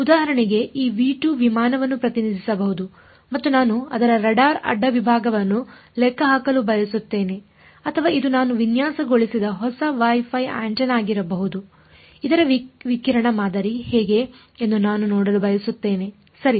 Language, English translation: Kannada, For example, this v 2 could represent an aircraft and I want to calculate its radar cross section or it could be some new Wi Fi antenna I have designed I want to see how its radiation pattern of this right